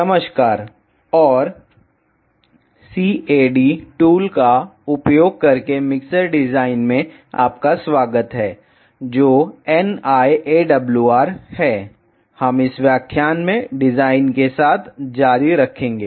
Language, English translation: Hindi, Hello and welcome to mixer design using cad tool which is NI AWR we will continue with the design in this lecture